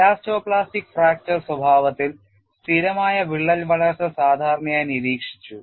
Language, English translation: Malayalam, In elasto plastic fracture behavior, stable crack growth is usually observed